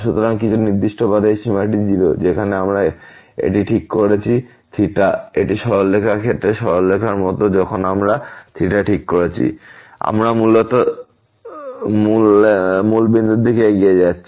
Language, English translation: Bengali, So, in some particular path this limit is 0; where we are fixing the theta it is like the straight line in the case of the straight line when we are fixing the theta, we are basically approaching towards